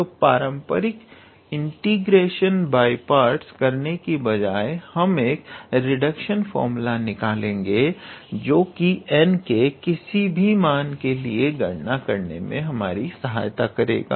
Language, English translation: Hindi, So, instead of doing the traditional integration by parts, we will derive an reduction formula that will help us evaluate for any n